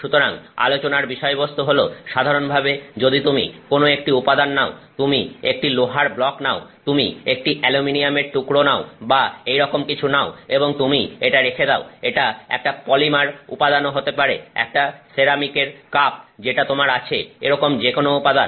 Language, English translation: Bengali, So, the point is generally if you take any material, okay, so you take a block of iron, you take a piece of aluminum and so on and you keep it, it could even be a polymer material, it could be your ceramic cup that you have, any of these materials